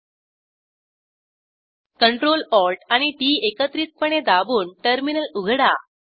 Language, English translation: Marathi, Press CTRL, ATL and T keys simultaneously to open the Terminal